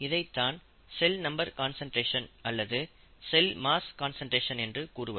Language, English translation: Tamil, In other words, the cell number concentration or the cell mass concentration increases with time